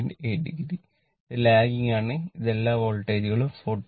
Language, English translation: Malayalam, 8 degree, it is lagging, this all voltages are same 44